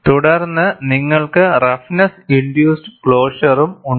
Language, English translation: Malayalam, Then, you also have roughness induced closure